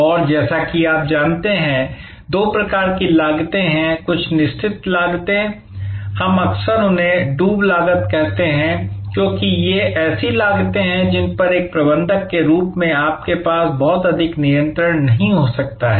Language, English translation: Hindi, And as you know, there are two types of costs, some are fixed cost, we often call them sunk costs, because these are costs on which as a manager you may not have much of control